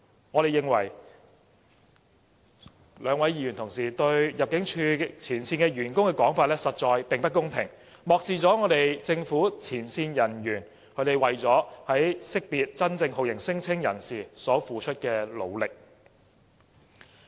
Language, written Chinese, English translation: Cantonese, 我們認為兩位議員的說法對入境處前線員工實在不公平，漠視政府前線人員為了識別真正酷刑聲請人士所付出的努力。, In our opinion the two Members remarks are very unfair to frontline Immigration officers and have disregarded the efforts the frontline Immigration officers have made in finding the genuine torture claimants